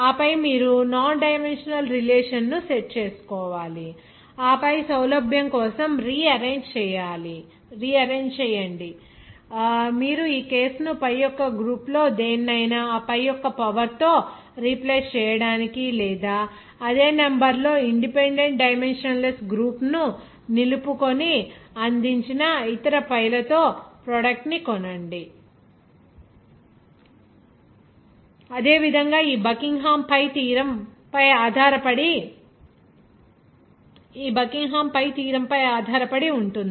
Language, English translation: Telugu, And then you have to set the nondimensional relationship and then rearrange for convenience you can say this case you are free to replace any of the pi s group by a power of that pi or buy a product with the other pi s provided retaining the same number of independent dimensionless groups’ Like that will do that example again are based on this Buckingham Pi theorem